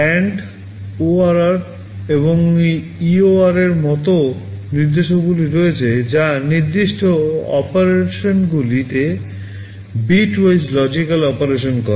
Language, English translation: Bengali, There are instructions like AND, ORR and EOR that performs bitwise logical operation on the specified operands